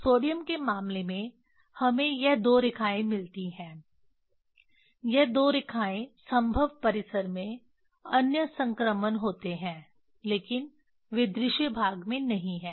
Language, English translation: Hindi, in case of sodium we get this these two lines these two lines in the feasible range there are the other transitions, but they are not in visible range